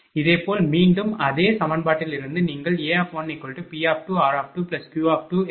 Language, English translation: Tamil, Similarly, again from the same equation you calculate A1 is equal to P 2 r 1 plus Q 2 x 1 minus 0